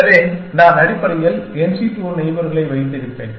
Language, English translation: Tamil, So, I will have n c 2 neighbors essentially